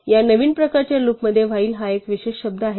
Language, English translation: Marathi, So, this new kind of loop has a special word while